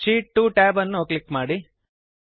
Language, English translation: Kannada, First, click on the Sheet 1 tab